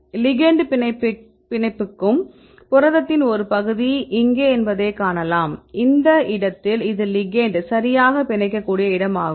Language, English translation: Tamil, Here you can see this is the part of the protein where the ligand binds, in this figure you can see here this is the place where the ligand can probably bind right